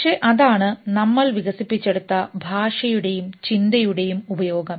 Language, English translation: Malayalam, That is the function of language and thought which we have developed